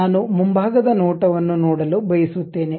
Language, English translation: Kannada, I would like to see front view